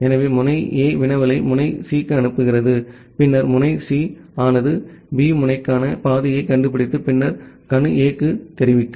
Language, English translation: Tamil, So, node A will send the query to node C and then node C will find out the path to node B and then informing to node A